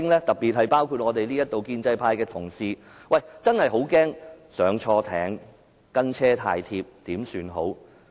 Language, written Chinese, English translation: Cantonese, 特別包括在席的建制派同事，他們真的很怕"押錯注"或"跟車太貼"，怎麼辦呢？, This is particularly true for those pro - establishment Members present at this moment as they are really afraid of making the wrong bet or following too close . What are they going to do then?